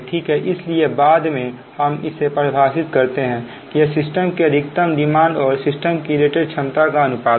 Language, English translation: Hindi, so later, ah, this this is we define, that is the ratio of the maximum demand of a system to the rated capacity of the system